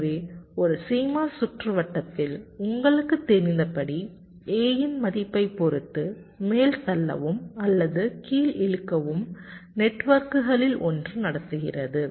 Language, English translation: Tamil, so, as you know, in a c mos circuit, depending on the value of a, so either the pull up or the pull down, one of the networks is conducting